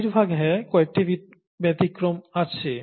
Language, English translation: Bengali, There are a few exceptions, but mostly yes